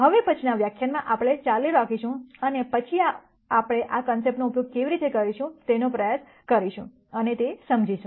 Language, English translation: Gujarati, In the next lecture, we will continue and then try and understand how we can use these concepts